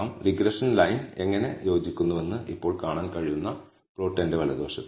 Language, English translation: Malayalam, So, on my right I have the plot we are now able to see how the regression line fits